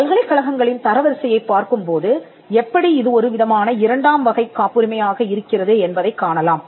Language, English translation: Tamil, Now we will see this when we look at the ranking of universities how it is type 2 patenting